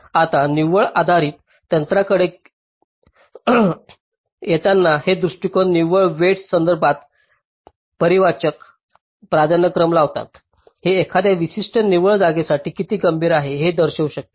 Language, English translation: Marathi, now coming to the net based techniques, these approaches impose quantitative priorities with respect to net weights, which can indicate how critical a particular net is